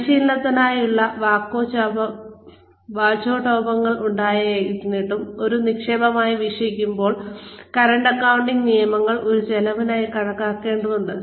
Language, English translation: Malayalam, Despite the rhetoric about training, being viewed as an investment, current accounting rules require that, it be treated as an expense